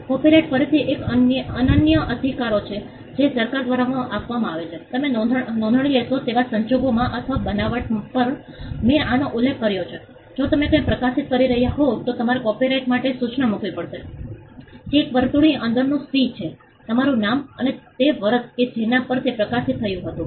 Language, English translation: Gujarati, Copyright again it is an exclusive rights it is conferred by the government, in cases where you seek a registration, or upon creation I have mentioned this before, if you are publishing something, all you need to do is put the copyright notice, which is the c within a circle, your name and the year on which it was published